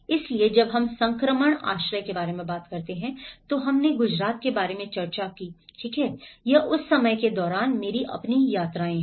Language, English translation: Hindi, So, when we talk about the transition shelters we did discussed about the Gujarat recovery, this is own, my own visits during that time